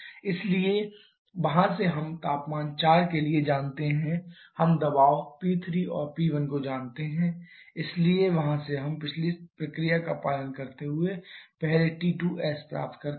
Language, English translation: Hindi, So, from there we know power temperature at point 4 we know pressure P 3 and P 1 so from there get T 5 is first following the speediest procedure